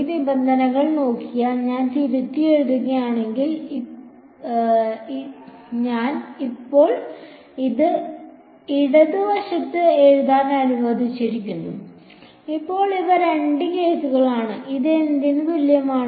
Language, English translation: Malayalam, If I just rewrite if I look at this these terms that I have so I have let me write on the left hand side now; so these are the two cases and is equal to what